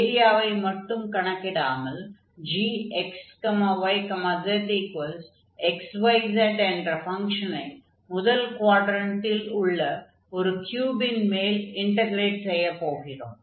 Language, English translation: Tamil, So, we are not just computing the area, but we are integrating this function x y z over a surface of the cube, which is sitting in the first quadrant